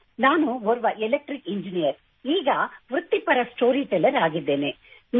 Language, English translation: Kannada, I am an Electrical Engineer turned professional storyteller